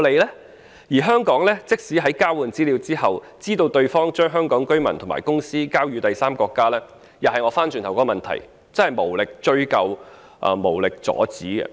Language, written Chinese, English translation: Cantonese, 況且，香港即使在交換資料後，知道對方將香港居民及公司的資料交予第三個國家，也會面對相同的問題：無力追究、無力阻止。, Besides even if Hong Kong has learnt that the exchanged information of Hong Kong people and companies has been passed onto a third country it will run into the same problem the inability to pursue the matter or prevent it